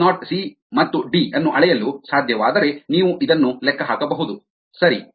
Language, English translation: Kannada, if s naught, c and d can be measured, you can calculate this right